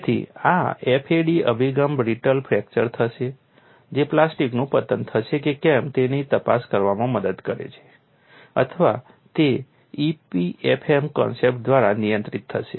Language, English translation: Gujarati, So, this FAD approach helps to investigate whether brittle fracture would occur or plastic collapse would occur or will it be controlled by e p f m concepts